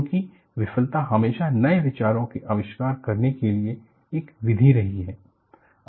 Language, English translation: Hindi, Because, failure has always been a method for inventing new ideas